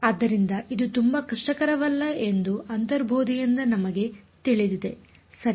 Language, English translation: Kannada, So, intuitively we know that this is not going to be very difficult ok